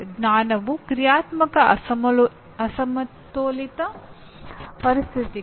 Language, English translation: Kannada, Knowledge is dynamic unbalanced conditions